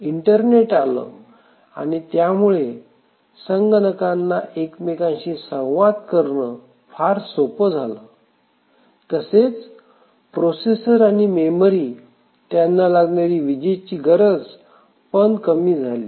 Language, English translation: Marathi, The internet has come in and there is tremendous flexibility for different computers to communicate to each other and also the power consumption of the processors and memory have drastically reduced